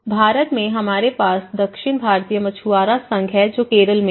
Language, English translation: Hindi, Even in India, we have the South Indian Fishermen Federation which is in Kerala